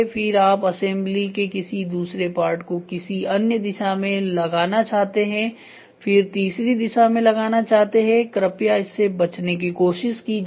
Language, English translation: Hindi, So, then you try to do an another part of the assembly in another direction then in the third direction please try to avoid it